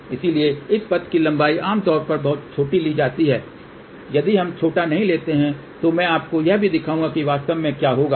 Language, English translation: Hindi, So, this path length is generally taken very very small if we do not take small, then also I will show you what really happen